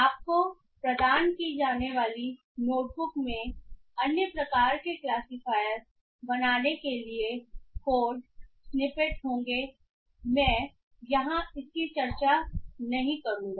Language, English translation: Hindi, The not book provided to you will have court snippets for building other type of classifiers though I will not be discussing it here